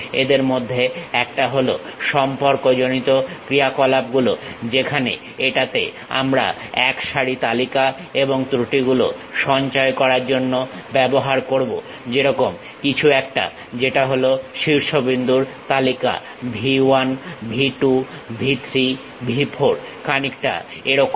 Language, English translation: Bengali, One of them is relational operators, where a set of lists and errors we will use it to store; something like what are the vertex list, something like V 1, V 2, V 3, V 4